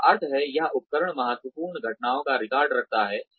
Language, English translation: Hindi, Which means, this tool keeps a record of, critical incidents